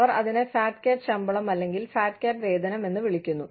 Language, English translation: Malayalam, They call it, the fat cat salary, or fat cat pay